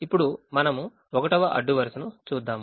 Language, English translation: Telugu, now we look at the first row